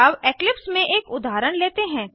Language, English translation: Hindi, Now, let us try out an example in Eclipse